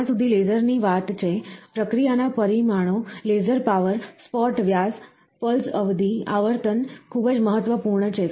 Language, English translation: Gujarati, So, the process parameters are, as far as laser is concerned, laser power, spot diameter, pulse duration, frequency, are very important